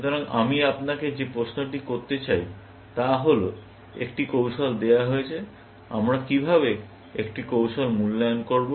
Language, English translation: Bengali, So, the question I want to ask you is, given a strategy; how do we evaluate a strategy